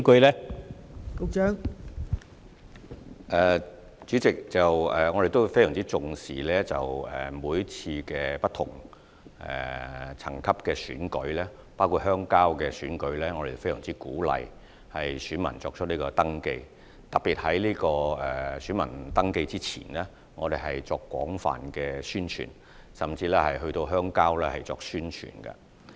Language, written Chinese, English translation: Cantonese, 代理主席，我們非常重視不同層級的鄉郊選舉，包括鄉郊代表選舉，亦非常鼓勵合資格人士登記為選民，特別是在選民登記之前，我們會進行廣泛的宣傳，甚至到鄉郊進行宣傳。, Deputy President we attach great importance to rural elections at different levels including the elections of rural representatives . We strongly encourage eligible persons to register as voters and we will particularly before voter registration begins launch extensive publicity and even promote in the rural areas